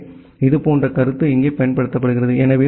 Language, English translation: Tamil, So, similar concept is applied here